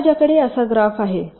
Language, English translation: Marathi, suppose i have a graph like this